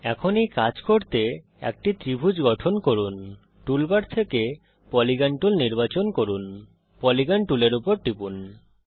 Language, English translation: Bengali, Lets now construct a triangle to do this , Lets select the Polygon tool from the tool bar, Click on the Polygon tool